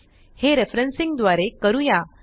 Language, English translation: Marathi, This will be done by referencing